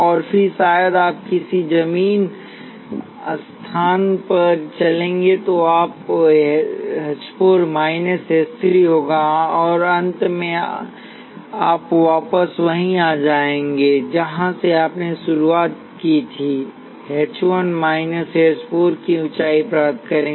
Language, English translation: Hindi, And then maybe you will walk down to some underground place, so you will have h 4 minus h 3, and finally, you come back to where you started off with you will gain a height of h 1 minus h 4